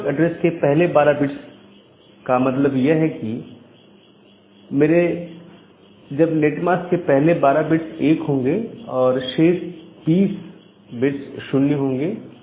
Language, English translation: Hindi, So, the first 12 bits of network address means my subnet mask would be the first 12 bit will be 1; and the remaining bits will be another 8 bits remaining bits will be 0